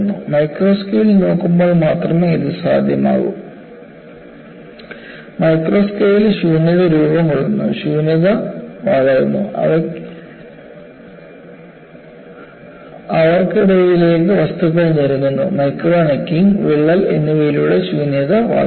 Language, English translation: Malayalam, This is possible only when you look at the micro scale; at the micro scale, you find voids are formed, the voids grow; the voids grow by, necking of the material in between to them, by micro necking and the crack proceeds